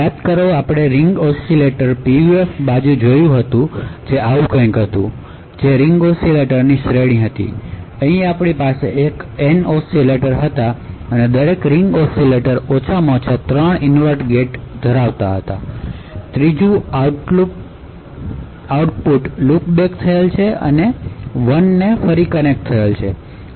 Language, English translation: Gujarati, So recollect that we actually looked at Ring Oscillator PUF which was something like this, so there were a series of ring oscillators, over here we had N oscillators and each ring oscillator had in this figure at least has 3 inverter gates, and output of the 3rd one is actually looped back and connected to the 1st inverter